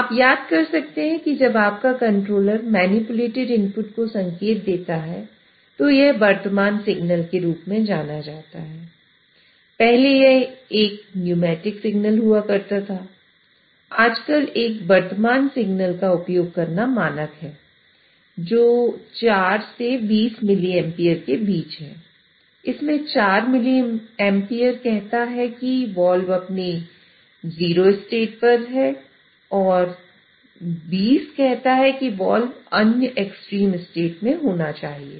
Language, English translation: Hindi, Nowadays, the standard to use a current signal which is between 4 to 20m amperes wherein 4 miliamp says the wall should be at its zero state and 20 says the wall should be at the other extreme state